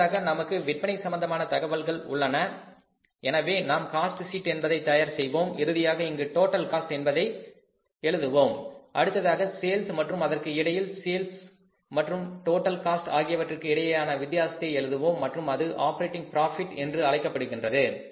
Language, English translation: Tamil, So, we will prepare the cost sheet and at the end we will write here is total cost then is the sales and in between we will create a figure that will be a difference between the sales and the cost and that will be called as the operating profit